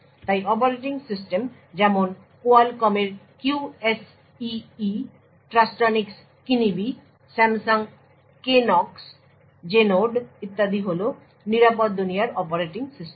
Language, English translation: Bengali, So operating systems such as Qualcomm’s QSEE, Trustonics Kinibi, Samsung Knox, Genode etc are secure world operating systems